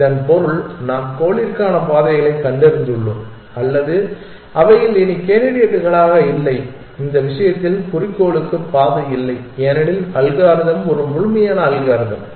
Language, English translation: Tamil, This means that either we have found paths to the goal or they are no more candidates left in which case there is no path to the goal because the algorithm is a complete algorithm